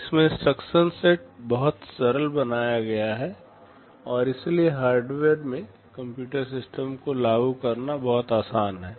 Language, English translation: Hindi, Here the instruction set is made very simple, and so it is much easier to implement the computer system in hardware